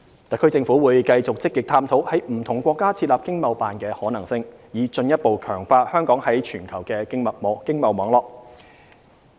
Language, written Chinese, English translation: Cantonese, 特區政府會繼續積極探討在不同國家設立經貿辦的可行性，以進一步強化香港在全球的經貿網絡。, The HKSAR Government will continue exploring the feasibility to establish ETOs in different countries with a view to further strengthening Hong Kongs trade network